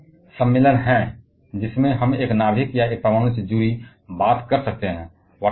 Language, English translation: Hindi, Now, there are several conventions by which we can represent a nucleus or an atom